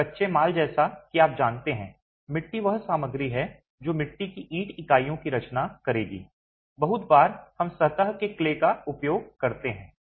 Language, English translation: Hindi, So, raw materials as you know, clay is what is the material that would compose clay brick units